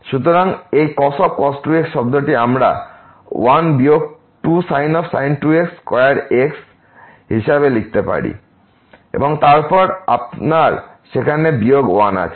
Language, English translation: Bengali, So, this term we can write down as 1 minus square and then you have minus 1 there